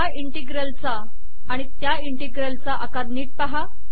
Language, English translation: Marathi, Note the size of this integral size and this integral